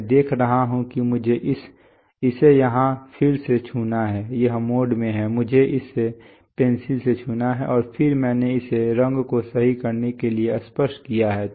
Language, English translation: Hindi, The pen oh, I see I have to touch it here again it is in mode, I have to touch it to the pencil and then I have touch it to the color correct